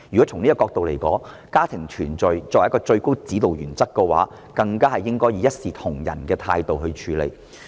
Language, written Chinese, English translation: Cantonese, 從這個角度來說，家庭團聚作為一個最高指導原則，政府更加應該以一視同仁的態度來處理。, From this perspective if the overriding guiding principle is family reunion the Government should be more conscious in treating their applications equally